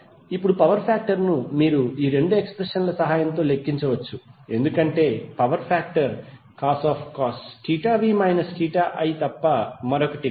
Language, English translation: Telugu, Now power factor you can simply calculate with the help of these 2 expressions because power factor is nothing but cos of theta v minus theta i